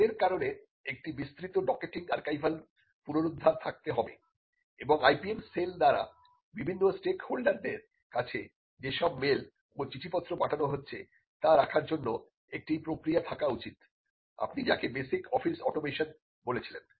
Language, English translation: Bengali, Because of the scale that has to be a comprehensive docketing archival retrieval and they should be a process for keeping all the email and the correspondence that is being sent by the IPM cell to different stakeholders, what you called basic office automation